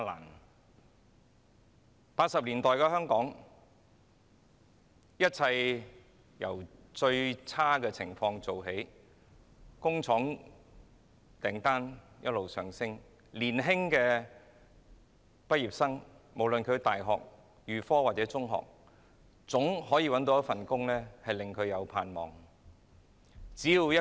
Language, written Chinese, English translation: Cantonese, 1980年代的香港，一切由最差的情況做起，工廠訂單一直上升，無論是在大學、預科或中學畢業的年青人，皆總可以找到一份令他們有盼望的工作。, Everything in Hong Kong in the 1980s started from scratch with the number of factory orders ever increasing and all university graduates and secondary school leavers managing to find a job which gave them hope for the future